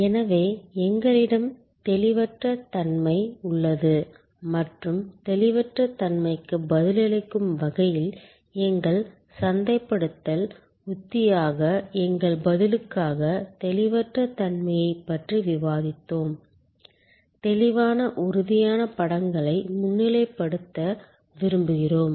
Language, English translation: Tamil, So, we have intangibility and we have discussed intangibility as our response as our marketing strategy in response to intangibility, we would like to highlight vivid tangible images